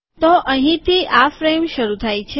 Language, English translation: Gujarati, So this is where the frame starts